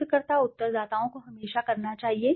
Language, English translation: Hindi, The researcher, the respondents should always be doing